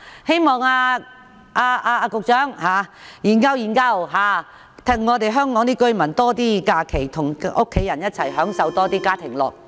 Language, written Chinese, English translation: Cantonese, 希望局長研究一下，讓香港市民有更多假期與家人一起享受家庭樂。, I hope the Secretary will give some thoughts to the proposal and provide Hong Kong people with more holidays to spend with their family